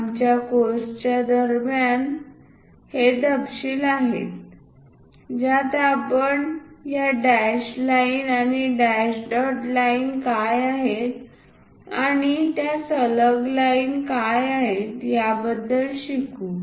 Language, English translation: Marathi, These are the inside details during our course we will learn about what are these dashed lines and also dash dot lines and what are these continuous lines also